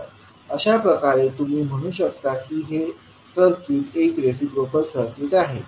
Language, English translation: Marathi, So, in that way you can say that the circuit is a reciprocal circuit